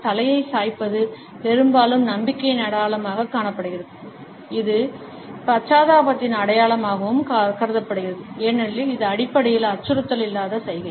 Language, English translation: Tamil, Tilting the head is often seen as a sign of trust, it is also perceived as a sign of empathy, as it is basically a non threatening gesture